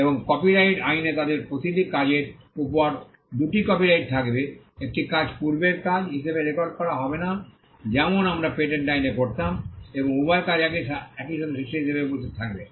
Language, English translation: Bengali, In copyright law there will be two copyrights over each of their work one work will not be recorded as a prior work as we would do in patent law rather both the works will exist as simultaneous creations